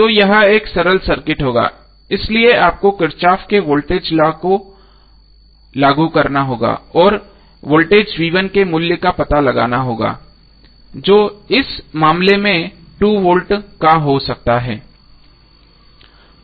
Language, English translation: Hindi, So this will be a simpler circuit so you have to just apply kirchhoff's voltage law and find out the value of voltage V1 which comes outs to be 2 volt in this case